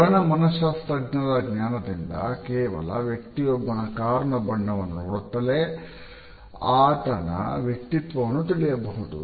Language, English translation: Kannada, Knowledge of color psychology can even help you read another persons personality just by looking at the color of their car